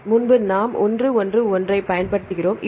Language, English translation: Tamil, So, earlier we use 1 1 1 1